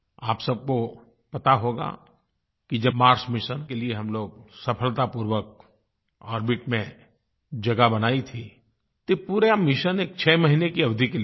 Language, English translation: Hindi, You may be aware that when we had successfully created a place for the Mars Mission in orbit, this entire mission was planned for a duration of 6 months